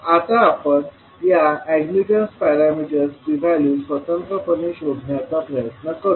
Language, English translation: Marathi, Now, let us try to find out the values of these admittance parameters individually